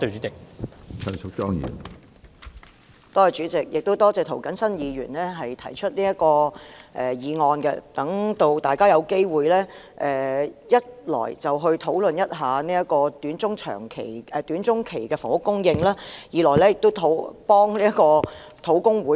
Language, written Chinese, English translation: Cantonese, 主席，多謝涂謹申議員提出這項議案，讓大家有機會討論短中期的房屋供應，以及為土地供應專責小組討回公道。, President I would like to thank Mr James TO for proposing this motion to give us opportunity to discuss issues relating to housing supply in the short - to - medium term and to do justice for the Task Force on Land Supply